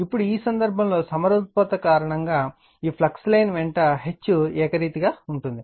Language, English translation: Telugu, Now, in this case because of symmetry H is uniform along each flux line